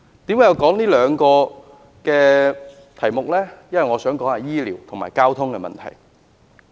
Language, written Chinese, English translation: Cantonese, 為何我要說這兩個題目？因為我想談談醫療和交通的問題。, Why do I bring up the health care and transport issues? . It is because I would like to talk about these two issues